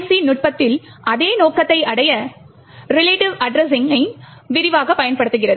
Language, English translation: Tamil, In the PIC technique, relative addressing is extensively used to achieve the same purpose